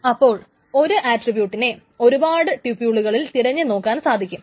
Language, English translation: Malayalam, So the single attribute in more tuples can be searched